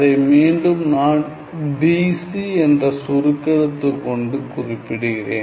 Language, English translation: Tamil, So, let me just again denote it by the shorthand notation DC